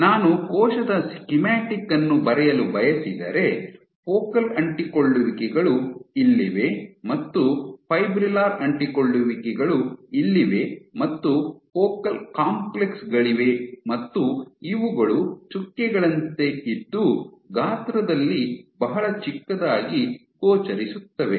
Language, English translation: Kannada, If I would to draw a schematic of the cell, your focal adhesions are present here, and the fibrillar adhesions are present here, focal adhesions are also present at the real of the cell, and you have focal complexes these appear like dots yeah really small in size